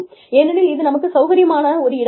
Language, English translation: Tamil, Because, it is our comfort zone